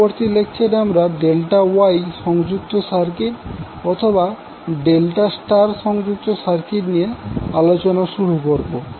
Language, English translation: Bengali, So in the next lecture we will start our discussion with the delta Wye connected circuit or delta star connected circuit